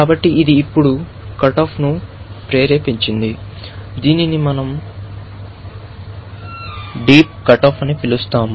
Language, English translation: Telugu, So, this now induced the cut off, what we call as a deep cut off